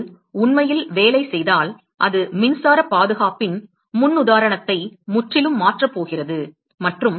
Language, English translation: Tamil, And if it really works it is going to completely change the paradigm of conservation of electricity and